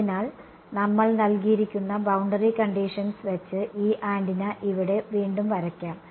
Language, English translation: Malayalam, So, the boundary conditions that we have let us redraw this antenna over here